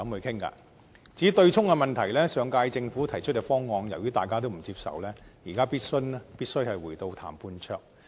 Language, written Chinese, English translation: Cantonese, 至於強積金對沖機制的問題，由於大家都不接受上屆政府提出的方案，現在必須回到談判桌。, Insofar as the offsetting mechanism under the Mandatory Provident Fund MPF System is concerned we must return to the negotiation table as the proposal put forward by the last - term Government was not acceptable to all